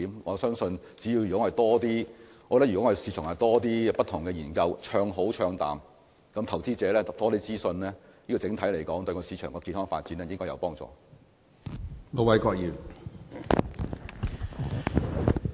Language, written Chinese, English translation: Cantonese, 我相信如果能為市場進行更多不同的研究，不管是唱好還是唱淡，讓投資者獲得更多資訊，對整體市場的健康發展也會有幫助。, I believe if more studies on the market can be carried out then regardless of whether the findings are positive or negative investors will be better informed which is conducive to the healthy development of the market